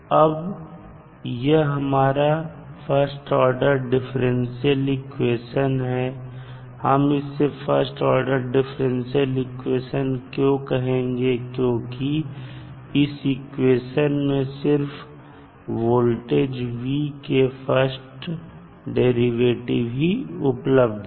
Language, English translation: Hindi, Now, this is our first order differential equation so, why will say first order differential equation because only first derivative of voltage V is involved